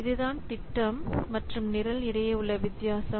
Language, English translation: Tamil, So, that's what is the difference between projects and programs